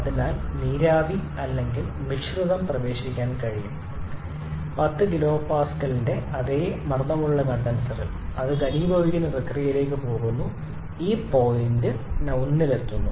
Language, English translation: Malayalam, So, the steam or mixture is able to enter the condenser with the same pressure of 10 kPa then it proceeds to the condensation process and reaches this point number 1